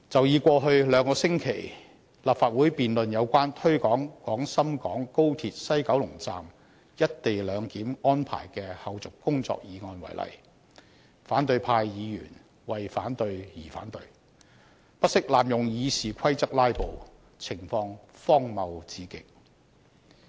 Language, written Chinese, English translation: Cantonese, 以過去兩星期立法會辯論有關推展廣深港高鐵西九龍站"一地兩檢"安排的後續工作議案為例，反對派議員為反對而反對，不惜濫用《議事規則》"拉布"，情況荒謬至極。, For example in the debate on the motion to take forward the follow - up tasks of the co - location arrangement at the West Kowloon Station of the Guangzhou - Shenzhen - Hong Kong Express Rail Link XRL over the past two weeks in the Legislative Council opposition Members raised objections for the sake of objection and resorted to filibustering by abusing the Rules of Procedure which was extremely ridiculous